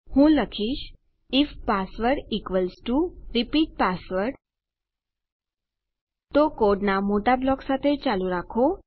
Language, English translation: Gujarati, Let me say if password equals equals to repeat password then continue the big block of code